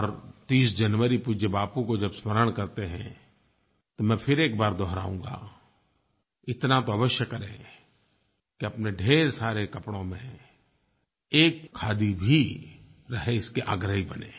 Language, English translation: Hindi, And on January 30, when we rememeber Respected Bapu, I repeat atleast make it necessary to keep one khadi among many of your garments, and become an supporter for the same